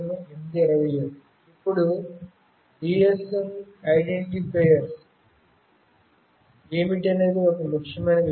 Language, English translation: Telugu, Now, this is an important thing what are the GSM identifiers